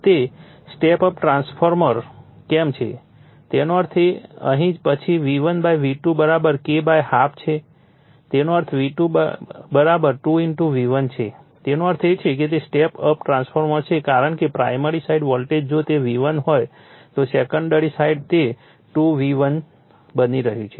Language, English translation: Gujarati, Why it is step up transformer; that means, here then V1 / V2 = K = half right; that means, V2 = 2 * V1 right; that means, it is step up transformer because primary side voltage if it is V1 secondary side it is becoming 2 * V1